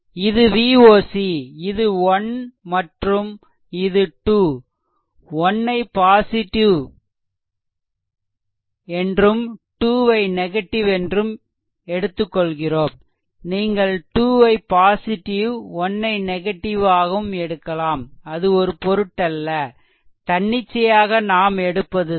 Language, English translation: Tamil, It is your V oc right this is 1 and 2 1 is positive 2 is negative arbitrary, you have we have taken if you want you can take 2 positive 1 negative, it does not matter arbitrary it has been taken right